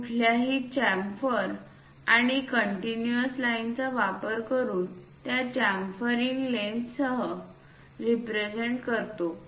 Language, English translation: Marathi, Any chamfers, we represent including that chamfering lens using these continuous lines